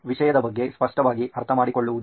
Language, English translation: Kannada, Clearly understanding on the subject